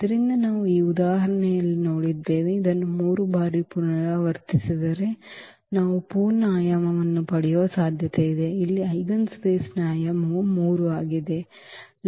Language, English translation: Kannada, So, we have seen in this example that, if it is repeated 3 times it is also possible that we can get the full dimension, here the dimension of the eigenspace that is 3